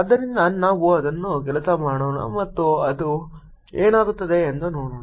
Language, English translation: Kannada, so let's just work it out and see what it comes out to be